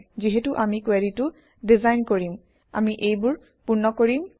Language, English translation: Assamese, As we design the query, we will fill these up